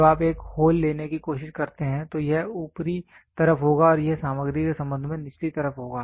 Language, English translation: Hindi, When you try to take a hole this will be on the upper side and this will be on the lower side with respect to material